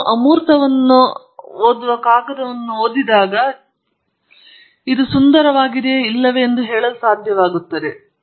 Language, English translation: Kannada, When you read a paper just reading the abstract you should be able to say whether the treatment is beautiful or not